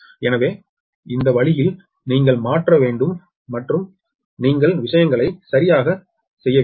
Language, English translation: Tamil, so this way you have to transform and you have to make things correctly right